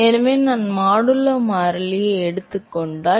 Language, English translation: Tamil, So, if I take modulo constant